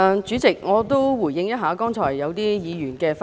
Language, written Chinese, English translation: Cantonese, 主席，我也回應一下剛才一些議員的發言。, President I will respond to the remarks made by some Members just now